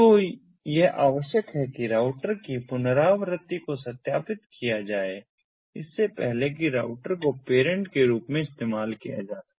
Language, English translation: Hindi, so it is required that the reachability of a router is verified before the router can be used as a parent